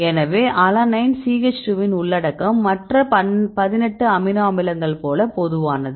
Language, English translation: Tamil, So, alanine content CH 2 like all the other 18 amino acids right